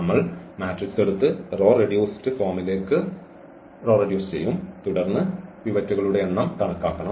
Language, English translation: Malayalam, We just take the matrix and try to reduce it to the row reduced form and then count the number of pivots and that is precisely the rank of the matrix